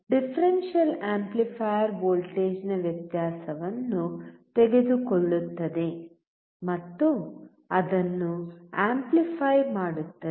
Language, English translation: Kannada, So, differential amplifier takes the difference of voltage and amplify it